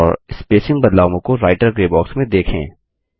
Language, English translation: Hindi, And notice the spacing changes in the Writer gray box